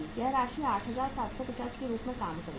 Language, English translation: Hindi, This amount will work out as 8750